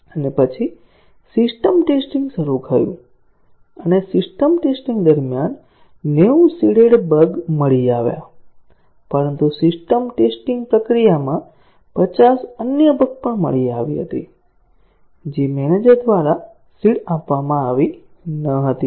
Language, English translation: Gujarati, And then, the system testing started and during system testing, 90 of the seeded bugs were found out; but, in the system testing process, 50 other bugs were also found, which were not seeded by the manager